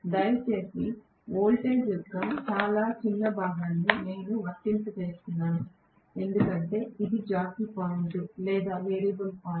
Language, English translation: Telugu, Please note I am applying a very small portion of the voltage because, this is the jockey point or the variable point